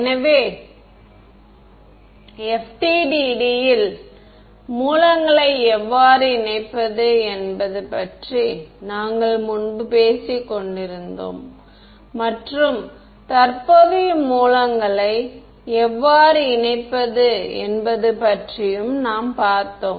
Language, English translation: Tamil, So we were previously talking about the kind how to incorporate sources into FDTD and what we looked at how was how to incorporate current sources